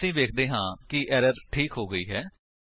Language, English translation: Punjabi, we see that the error is resolved